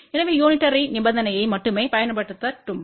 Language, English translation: Tamil, So, let just apply only unitary condition